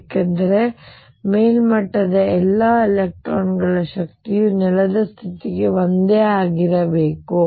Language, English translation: Kannada, Because the energy of all the electrons at the upper most level must be the same for the ground state